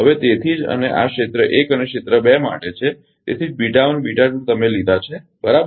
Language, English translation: Gujarati, So, that is why and this is for area 1 and area 2 that is why beta 1 and beta 2 you have taken, right